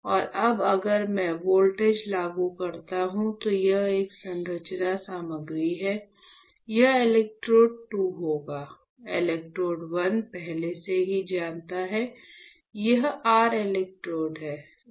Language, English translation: Hindi, And now if I apply a voltage, this is a conducting material right, this is will be an electrode 2; electrode 1 you already know, this is your electrode 1 correct